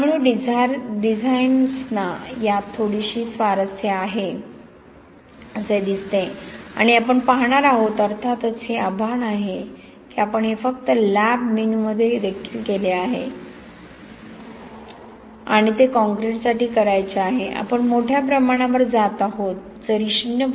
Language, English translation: Marathi, So designers seem to be quite a bit interested in this and we will see, of course the challenge is, we have only done this in the lab menu and to do it for concrete, we are going large, you know even though 0